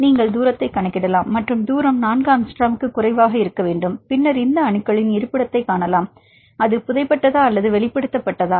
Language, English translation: Tamil, You can calculate the distance and the distance should be less than 4 angstrom and then see the location of these atoms; whether it is buried or it is exposed